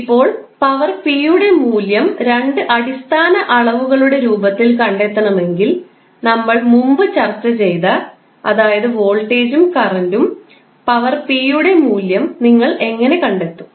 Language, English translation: Malayalam, Now, if you want to find out the value of power p in the form of two basic quantities which we discussed previously that is voltage and current